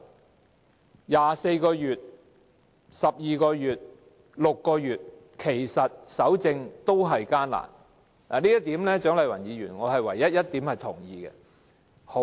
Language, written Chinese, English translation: Cantonese, 無論是24個月、12個月或6個月，其實搜證同樣困難，這是我唯一認同蔣麗芸議員的一點。, The only point that I agree with Dr CHIANG Lai - wan is that be it 24 months 12 months or 6 months evidence collection is all the same difficult